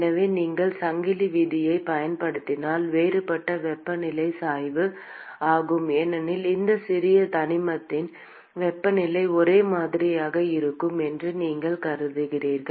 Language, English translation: Tamil, So, if you use the chain rule, the differential temperature gradient is 0, because you assume that the temperature in this small element is same